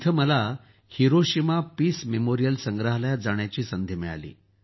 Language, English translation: Marathi, There I got an opportunity to visit the Hiroshima Peace Memorial museum